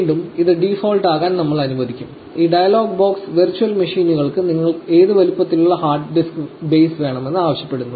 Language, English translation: Malayalam, Again, we will let this to be default, this dialogue box also asks you what size of hard disk base you want for the virtual machines